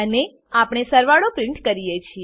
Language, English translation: Gujarati, And we print the sum